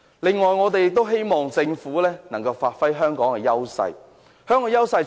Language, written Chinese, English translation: Cantonese, 此外，我們希望政府能夠發揮香港的優勢。, Also we hope that the Government can make good use of Hong Kongs advantages